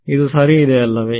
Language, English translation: Kannada, It is clear right